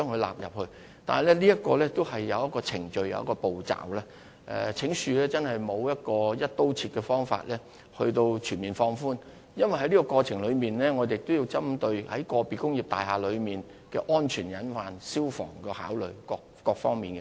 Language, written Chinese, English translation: Cantonese, 然而，當中有既定程序及步驟須予遵從，請恕我們真的沒有"一刀切"的方法可以作出全面的放寬，因為我們亦要考慮個別工業大廈的安全隱患及消防設備等各方面。, But there are established procedures and steps to follow and I am afraid there is no across - the - board means to grant a comprehensive waiver or exemption because we also have to consider other factors such as safety hazards and fire service equipment in individual industrial buildings